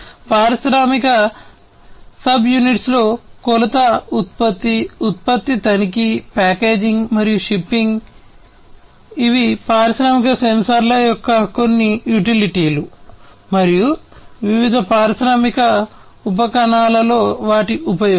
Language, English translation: Telugu, So, utility in industrial subunits measurement production, product inspection, packaging, and shipping, these are some of these utilities of industrial sensors and their use, in different industrial subunits